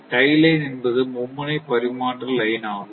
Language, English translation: Tamil, Tie line means, basically it is a three phase transmission line